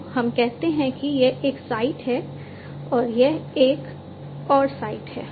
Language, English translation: Hindi, So, let us say that this is one site and this is another site, right